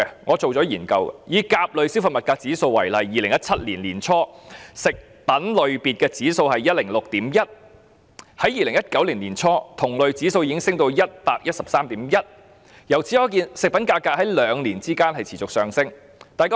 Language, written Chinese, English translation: Cantonese, 我曾進行研究，以甲類消費物價指數為例 ，2017 年年初食品類別的指數是 106.1， 在2019年年初同類指數已經升到 113.1， 可見食品價格在兩年間持續上升。, Take the Consumer Price Index A as an example . In early 2017 the price index for food was 106.1 and the index for the same group of commodities already rose to 113.1 in early 2019 . From this we can see that the prices of food have continued to increase for two years